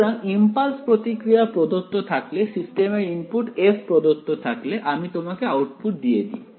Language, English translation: Bengali, So, given the impulse response given the input to the system f I give you the output